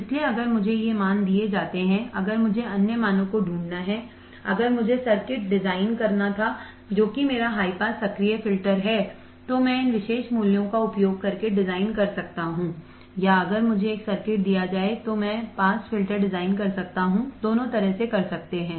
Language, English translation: Hindi, So, if I am given these values if I had to find the other values, if I had to design the circuit that is my high pass active filter, I can design by using these particular values or if I am given a circuit I can design my pass filter both the ways I can do it